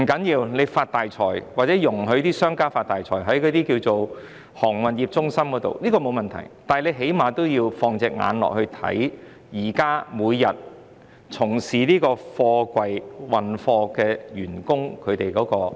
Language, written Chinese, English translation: Cantonese, 政府"發大財"或容許商家在航運中心"發大財"並無問題，但最低限度要密切關注從事貨櫃處理作業人員的安危。, There is no problem for the Government to make a fortune or to allow merchants to make a fortune in the shipping centre but it must at least pay close attention to the safety of container handling workers